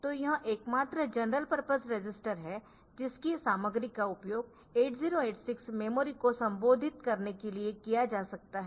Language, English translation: Hindi, So, this is the only general purpose register whose contents can be used for addressing the 8086 memory